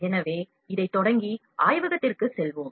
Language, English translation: Tamil, So, let us start this and go to the lab